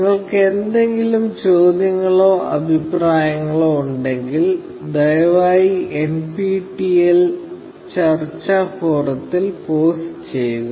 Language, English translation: Malayalam, If you have any questions, or comments, please post them on the NPTEL discussion forum